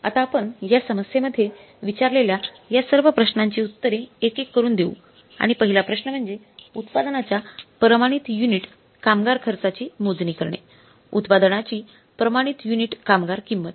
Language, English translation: Marathi, So now we will answer all these questions asked in this problem one by one and the first question is which is asked in this problem is the standard unit labor cost of the product to compute the standard unit labor cost of the product